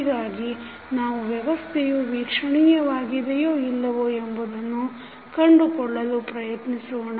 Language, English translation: Kannada, So, let us try to understand how to find out whether the system is observable or not